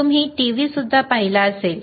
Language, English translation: Marathi, y You may also have seen TV